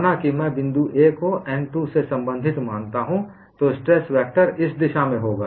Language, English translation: Hindi, Suppose I consider point A belonging to surface n 2, the stress vector would be on this direction